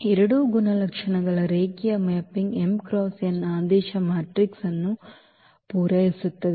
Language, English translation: Kannada, So, both the properties of the linear mapping satisfied for matrix for a matrix of order m cross n